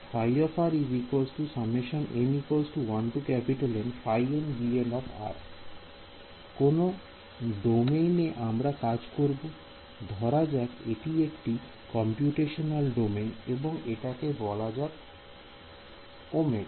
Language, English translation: Bengali, What is the domain that we have, let us say some this is a computational domain, let us call it capital omega ok